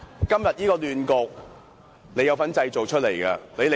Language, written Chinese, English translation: Cantonese, 今天這個亂局，你有份製造。, You have a share of the blame for the mess today